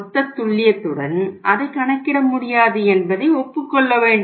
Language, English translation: Tamil, Agreed that it cannot be worked out with the total precision